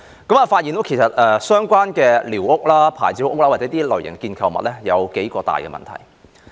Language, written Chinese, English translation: Cantonese, 我發現該處的寮屋、"牌照屋"或構築物有數大問題。, I noticed a few major problems with the squatter structures licensed structures or other structures there